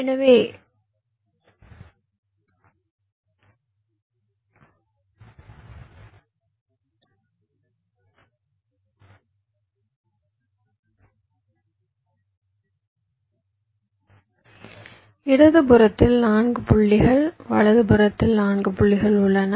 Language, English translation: Tamil, so i have four points on the left, four points on the right